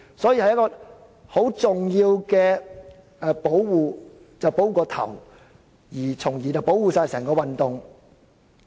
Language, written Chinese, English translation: Cantonese, 所以，先要保護頭目，從而保護整個工業運動。, Therefore we must first protect the leaders and then protect the whole labour movement